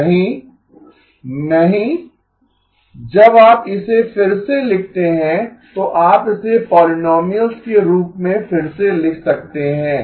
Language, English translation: Hindi, No, no when you rewrite it, you can rewrite it as polynomials